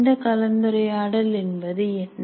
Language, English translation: Tamil, What are these interactions